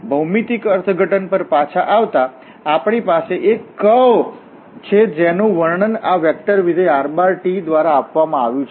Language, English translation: Gujarati, Coming back to the geometric interpretation, so we have a curve which is described by this vector function rt